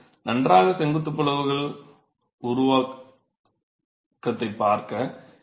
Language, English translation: Tamil, So, you see the formation of these fine vertical cracks